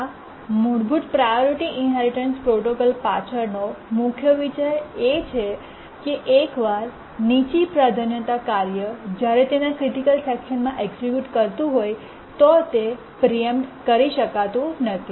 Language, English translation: Gujarati, The main idea behind the basic priority inheritance protocol is that once a lower priority task is executing its critical section, it cannot be preempted